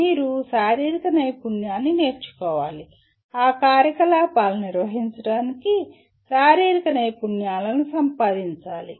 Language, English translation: Telugu, You have to master the physical skill, acquire the physical skills to perform those activities